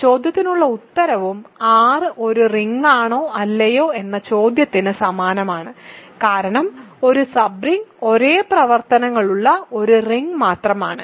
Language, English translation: Malayalam, The answer to that question and the question whether R is a ring or not is the same because a sub ring is simply a ring with the same operations